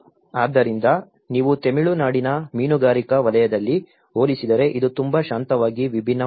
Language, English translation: Kannada, So, it was not if you compare in the fishing sector in Tamil Nadu it was very quiet different set up